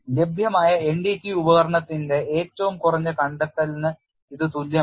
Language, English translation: Malayalam, It is not equal to the least delectability of the NDT tool available